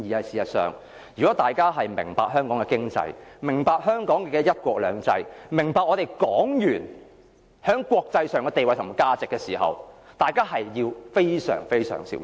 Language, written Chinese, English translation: Cantonese, 事實上，如果大家明白香港的經濟，明白香港的"一國兩制"，明白港元於國際上的地位及價值，大家便應非常非常小心。, If fact if we understand Hong Kongs economy if we understand one country two systems and if we understand the status and value of Hong Kong dollar in the international community we should be extremely careful